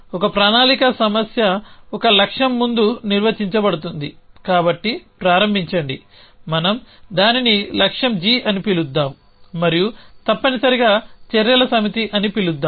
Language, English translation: Telugu, So, let me give you a so a planning problem is define by a start is as before a goal so start s let us call it goal g and a set of actions essentially